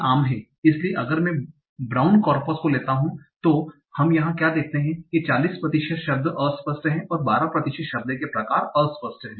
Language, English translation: Hindi, So if I take the ground corpus, so what we see here, 40% of the word tokens are ambiguous, and 12% of the word types are ambiguous